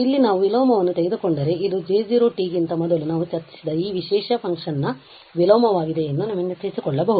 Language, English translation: Kannada, And just to recall that if we take the inverse here, this is the inverse of this special function which we have discuss before J 0 t